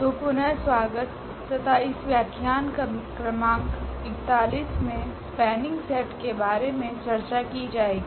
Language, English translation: Hindi, So, welcome back and this is lecture number 41 will be talking about this Spanning Set